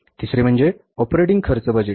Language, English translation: Marathi, Then is the third one is operating expenses budget